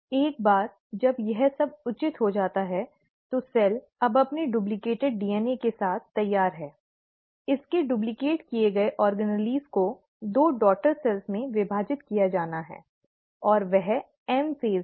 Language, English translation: Hindi, Once that is all proper, the cell is now ready with its duplicated DNA, its duplicated organelles to be divided into two daughter cells, and that is the M phase